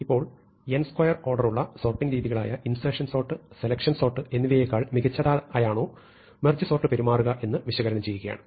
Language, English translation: Malayalam, So, now we want to analyze whether the merge sort actually behaves, better than our order n square intuitive sorts like insertion sort and selection sort